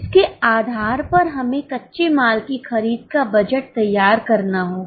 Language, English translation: Hindi, Based on this we will have to prepare raw material purchase budget